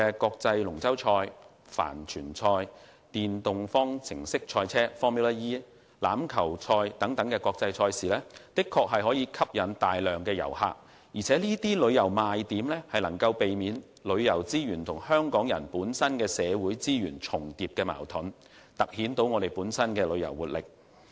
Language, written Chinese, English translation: Cantonese, 國際龍舟賽、帆船賽、電動方程式賽車、欖球賽等國際賽事的確可吸引大批旅客，而這些旅遊賣點能避免旅遊資源和港人社會資源重疊的矛盾，突顯香港的旅遊活力。, International sports events such as the Hong Kong International Dragon Boat Races yacht races Formula E races and rugby races can attract a large number of visitors . The selling point of these tourism events is that they can avoid conflicts arising from any overlapping of tourism resources and the community resources of the Hong Kong people highlighting the vitality of Hong Kongs tourism